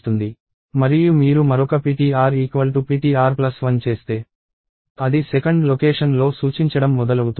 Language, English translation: Telugu, And if you do one more ptr equals ptr plus 1 and it is starts pointing at 2th location and so, on